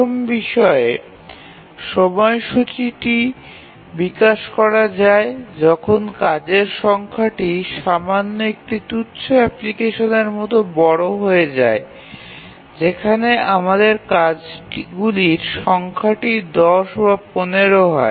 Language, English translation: Bengali, The first point is that how do we really develop the schedule when the number of tasks become large, like slightly non trivial application where the number of tasks are, let's say, 10 or 15